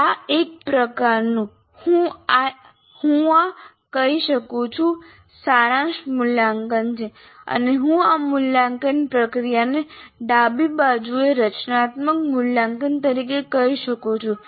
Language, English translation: Gujarati, This is a kind of summative evaluation I can call this and this process I can call it as formative evaluation